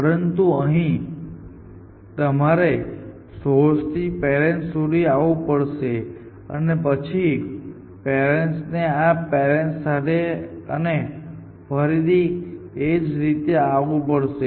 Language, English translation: Gujarati, Here, you have come from the source all the way to the parent and there from this parent to the next parent again you have to go all the way and so on